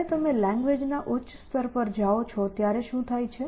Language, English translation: Gujarati, So, what happens when you go to higher levels of language